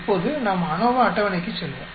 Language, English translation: Tamil, Now will go the ANOVA table